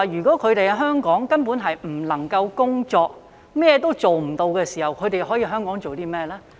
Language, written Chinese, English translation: Cantonese, 當他們在香港根本不能夠工作，甚麼也做不到時，他們可以在香港做甚麼？, These people are not allowed to work in Hong Kong . What can they do if they are not permitted to work here?